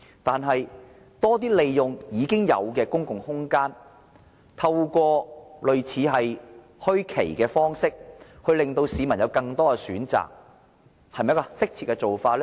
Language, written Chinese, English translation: Cantonese, 但是，多些利用現有公共空間，透過類似墟市的方式，令市民有更多選擇，這是不是適切的做法呢？, Nevertheless is it not an appropriate approach to make more use of the existing public space and give members of the public more choices through setting up bazaars or similar venues?